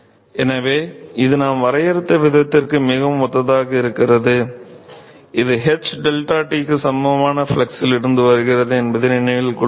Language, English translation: Tamil, So, it is very similar to the way we defined remember this comes from the flux equal to some h into deltaT